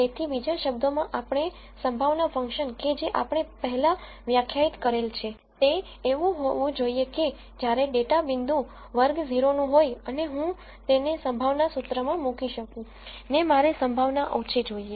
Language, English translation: Gujarati, So, in other words we could say the probability function that we defined before should be such that whenever a data point belongs to class 0 and I put that into that probability expression, I want a small probability